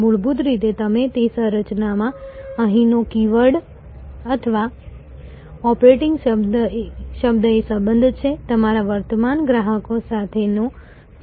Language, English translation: Gujarati, Fundamentally in whatever maybe the configuration, the keyword here or operative word here is relationship, relationship with your existing customers